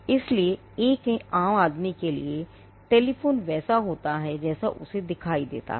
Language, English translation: Hindi, So, for a layperson a telephone is how it looks to him